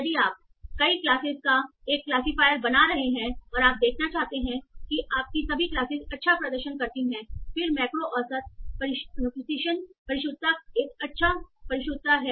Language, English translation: Hindi, So if you are building a classify of multiple classes and you want to see that all your classes perform well then macro width precision is a good measure